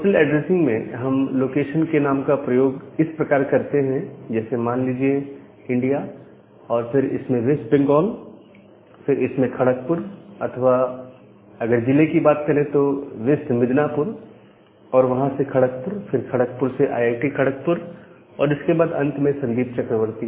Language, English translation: Hindi, And so, in case of a postal addressing, we use this name of the locations like this India inside that West Bengal, inside that Kharagpur or in the district term say west Midnapore, from there it is a Kharagpur, then from Kharagpur to IIT Kharagpur and then finally, Sandip Chakraborty